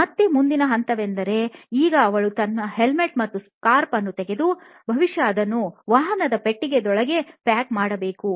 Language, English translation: Kannada, Again, the next step is now she has to take off her helmet and scarf and probably pack it inside the trunk of the vehicle